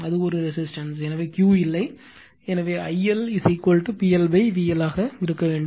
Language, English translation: Tamil, And it is a resistive, so no Q, so I L should be is equal to P L upon V L